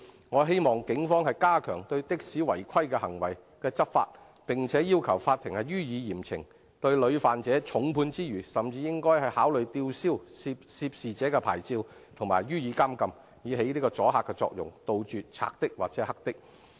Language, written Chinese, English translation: Cantonese, 我希望警方加強對的士違規行為執法，並要求法庭予以嚴懲，重判屢犯者之餘，甚至應考慮吊銷涉事者的執照及予以監禁，以起阻嚇作用，杜絕"賊的"或"黑的"。, I hope that the Police will enhance its enforcement against taxi malpractices and request the court to impose severe punishments . In addition to imposing heavy penalties on repeat offenders revocation of licence and imprisonment of the person involved should be considered for achieving deterrent effect thus wiping out bandit taxis or black taxis